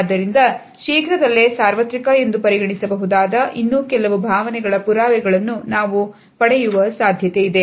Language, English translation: Kannada, So, it is quite possible that we may also get evidence of some more emotions which may be considered universal very shortly